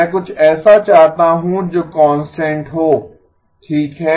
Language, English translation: Hindi, I want something that is a constant okay